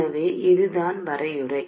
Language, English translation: Tamil, So this is the definition